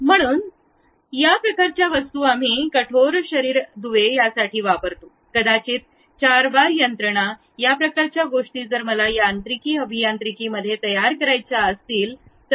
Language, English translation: Marathi, So, these kind of objects we use it for rigid body links maybe four bar mechanism, this kind of things if I would like to really construct at mechanical engineering